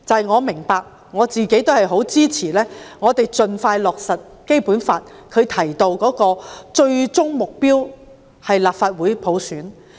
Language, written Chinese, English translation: Cantonese, 我明白，我自己亦支持盡快落實《基本法》訂明的最終目標，即普選立法會。, I understand it . I myself also support the expeditious implementation of the ultimate aim prescribed in the Basic Law ie . universal suffrage for election of the Legislative Council